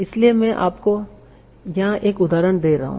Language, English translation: Hindi, So here are some examples